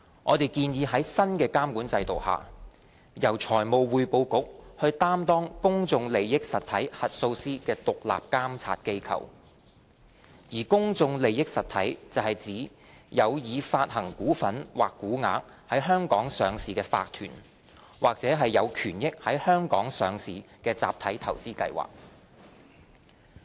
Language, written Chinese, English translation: Cantonese, 我們建議在新的監管制度下，由財務匯報局擔當公眾利益實體核數師的獨立監察機構，而公眾利益實體是指有已發行股份或股額在香港上市的法團或有權益在香港上市的集體投資計劃。, We propose that the Financial Reporting Council should act as the independent oversight body regulating public interest entity PIE auditors under the new regulatory regime . PIEs refer to corporations with issued shares or stocks listed in Hong Kong or collective investment schemes with interests listed in Hong Kong